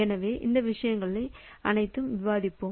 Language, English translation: Tamil, So, all these things will be discussed